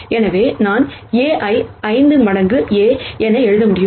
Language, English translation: Tamil, So, I could write A itself as 5 times A